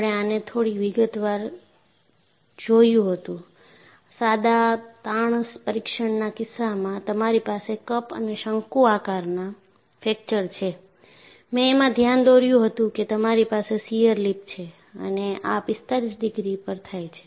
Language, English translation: Gujarati, And we had seen in some detail, that in the case of a simple tension test, you have a cup and cone fracture, and I pointed out that, you have a shear lip and this happens at 45 degrees